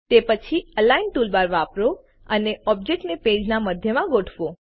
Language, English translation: Gujarati, Then use the Align toolbar and align the objects to the centre of the page